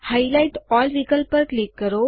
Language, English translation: Gujarati, Click on Highlight all option